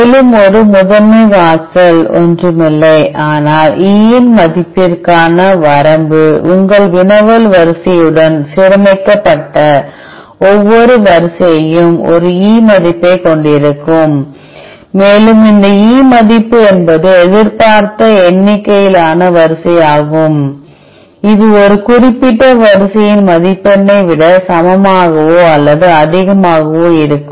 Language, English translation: Tamil, Further that is a expect threshold which is nothing, but the limitation for the E value every sequence that is aligned with your querry sequence, will have an E value and this E value is the expected number of sequence which has a score greater than or, more equal to the score of that particular sequence